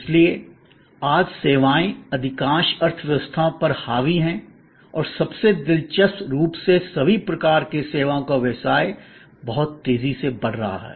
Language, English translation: Hindi, So, services today dominate most economies and most interestingly all types of services business are growing very rapidly